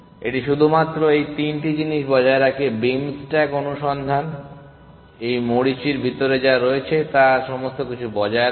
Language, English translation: Bengali, It maintains only these 3 things beam stack search maintains all this everything which is inside this beam